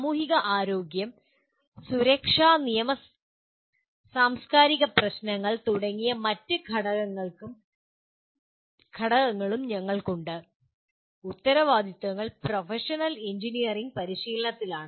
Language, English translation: Malayalam, And we have other elements like societal health, safety, legal and cultural issues and the responsibilities are to the professional engineering practice